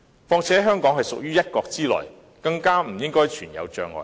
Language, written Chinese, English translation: Cantonese, 況且，香港屬於"一國"之內，更不應存有障礙。, In addition as Hong Kong is a part of one country there should not be any obstacles